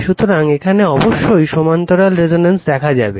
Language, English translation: Bengali, So, this is you have to see the parallel resonance of the circuit